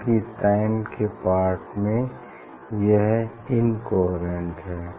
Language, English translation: Hindi, In time part it is incoherent